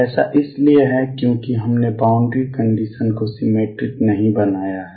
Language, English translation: Hindi, This is because we have not made the boundary conditions symmetric